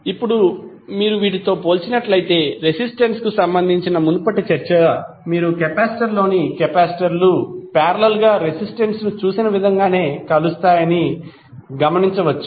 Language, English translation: Telugu, Now if you compare with the, the previous discussion related to resistance you can observe that capacitors in series combine in the same manner as you see resistance in the parallel